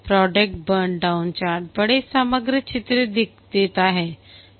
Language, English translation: Hindi, The product burn down chart gives the big overall picture